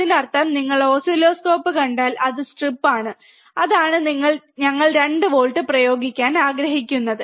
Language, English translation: Malayalam, So, if you see in the oscilloscope, it is stripped, that is the reason that we want to apply 2 volts